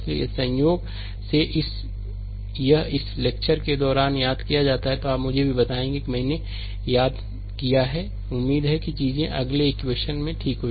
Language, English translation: Hindi, So, if by chance it is miss during this lecture, you will also let me know that I have missed that hopefully hopefully things are ok next equations, right